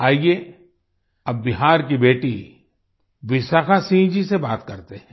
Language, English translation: Hindi, Come, let's now speak to daughter from Bihar,Vishakha Singh ji